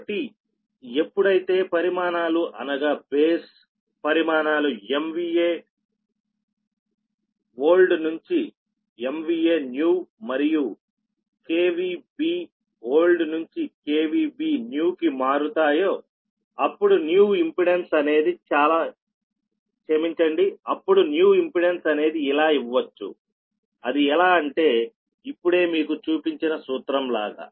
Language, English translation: Telugu, so when quantities, when base quantities are change from m v a old to m v a base new, and from k v b old to k b v new, the new per unit pet unit impedance can be given, as it is something like this that suppose, ah, this formula i have written just now